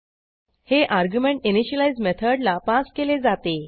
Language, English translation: Marathi, This argument gets passed on to the initialize method